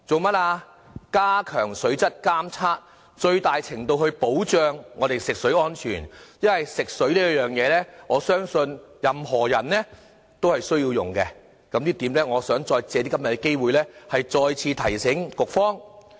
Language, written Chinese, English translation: Cantonese, 目的是加強水質監測，最大程度地保障我們的食水安全，因為我相信任何人都需要使用食水的，我想藉着今天的機會再次提醒局方。, The aim is to reinforce the water quality monitoring to best safeguard the safety of our drinking water . I know consumption of drinking water is a basic necessity for all of us and I wish to take this opportunity to once again remind the Bureau of this